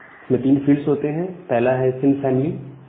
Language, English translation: Hindi, It has these three fields, one is the sin family